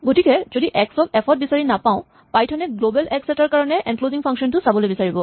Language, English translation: Assamese, So if x is not found in f, Python is willing to look at the enclosing function for a global x